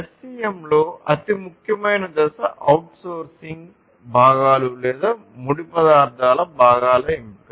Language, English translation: Telugu, So, the most important stage in SCM is the selection for outsourcing components or parts of raw material